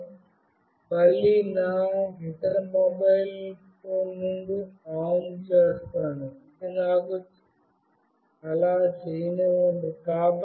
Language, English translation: Telugu, I will again send it OFF from my other mobile, which is this one let me do that